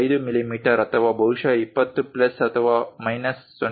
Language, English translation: Kannada, 5 mm or perhaps something like 20 plus or minus 0